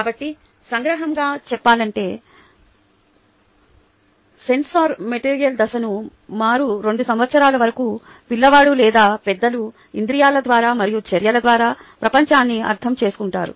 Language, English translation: Telugu, so to summarize the sensorimotor stage, until about two years the child or the adult understands the world through senses and actions